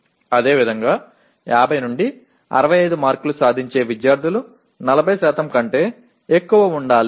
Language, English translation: Telugu, Similarly, students getting between 50 and 65 marks should be more than 40%